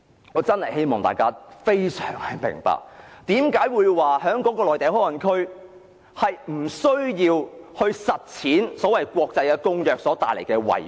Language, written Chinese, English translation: Cantonese, 我希望大家明白內地口岸區不實施有關國際公約所帶來的遺禍。, I hope Members can understand the repercussions of denying the enforcement of the relevant international covenant in MPA